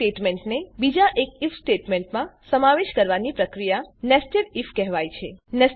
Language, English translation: Gujarati, This process of including an if statement inside another, is called nested if